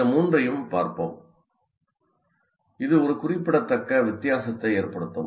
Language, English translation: Tamil, Now, let us look at these three in the which can make a great difference